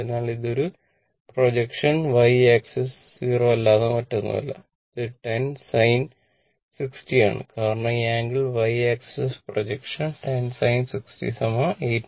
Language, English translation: Malayalam, So, it is a projectional y axis is nothing but 0 , plus it is 10 sin 60 because this angle is y axis ah projection is 10 sin 60 that is 8